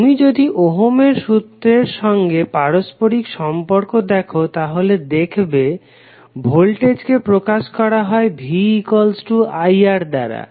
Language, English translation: Bengali, If you correlate with the Ohm's law, you will see that voltage is represented as R into I